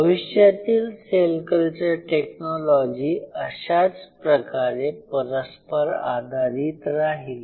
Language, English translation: Marathi, So, future cell culture technology will be very dynamic